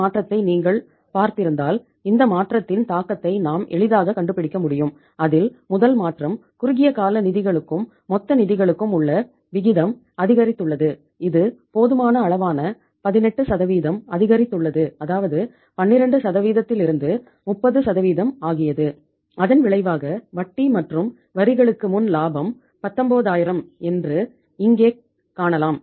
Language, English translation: Tamil, And if you have seen this change then the impact of this change we have we can easily find out is number one is the ratio of the short term funds to the total funds has gone up by say a sufficient amount that is 18% from 12% to 30% and as a result of that we can see here that your profit before interest and taxes say 19000